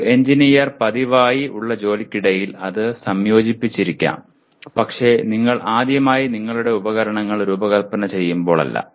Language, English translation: Malayalam, Maybe an engineer routinely incorporates that but not when you first time design your equipment